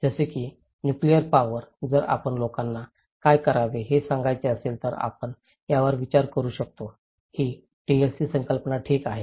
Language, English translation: Marathi, Like, in case of nuclear power plant that if we want to tell people what should be done, we should can consider this; this TLC concept okay